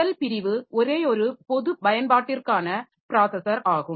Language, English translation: Tamil, The first class is the single general purpose processor